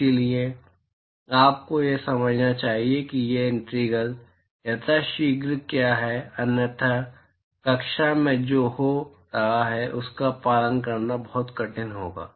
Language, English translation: Hindi, So, you must understand what these integrals are as quickly as possible otherwise it will be very difficult to follow what is happening in the class